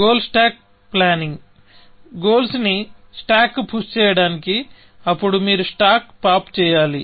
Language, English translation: Telugu, So, goal stack planning; push goals on to stack; then, you pop the stack